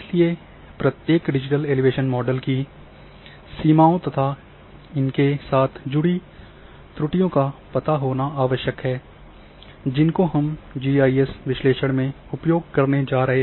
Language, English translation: Hindi, Therefore, it is very necessary to under extend the limitations of each digital elevation models the errors associated with different type of digital elevation models which we are going to use in our GIS analysis